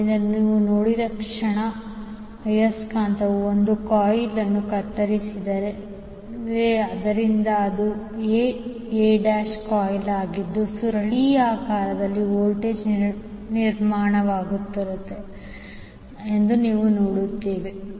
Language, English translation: Kannada, So, when the moment you see the, the magnet is cutting phase a coil, so, that is a a dash coil we will see that the voltage is being building up in the coil A